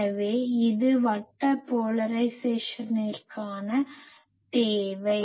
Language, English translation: Tamil, So, this is the demand for circular polarisation